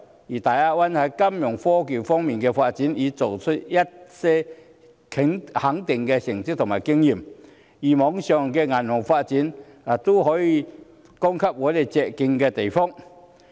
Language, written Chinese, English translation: Cantonese, 而大灣區在金融科技方面的發展，已取得一些值得肯定的成績和經驗，例如網上銀行的發展，便有可供我們借鏡的地方。, Meanwhile the Greater Bay Area has got some significant results and experience in the development of fintech . The development of online banking for example is an area from which we may draw lessons